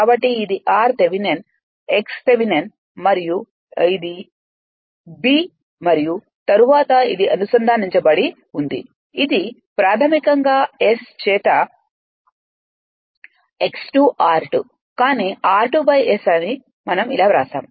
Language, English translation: Telugu, So, this is r Thevenin x Thevenin and this is the point a b and then this is connected basically it is x 2 dash r 2 dash by S, but r 2 dash by S we have written like this right